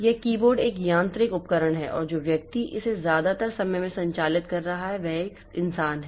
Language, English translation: Hindi, This keyboard is a mechanical device and the person who is operating it most of the time is a human being